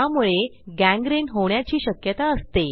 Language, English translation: Marathi, This could lead to gangrene